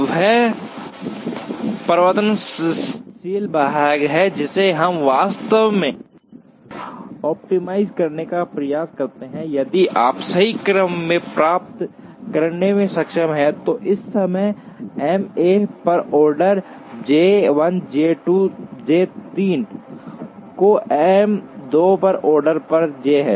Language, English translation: Hindi, That is the variable part, which we are actually try into optimize, if you are able to get the correct order, in the sense at the moment if the order on M 1 is J 1 J 2 J 3, order on M 2 is J 2 J 1 J 3, an order on M 3 is J 1 J 2 J 3 the Makespan is 40